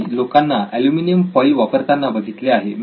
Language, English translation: Marathi, I have seen people use aluminum foils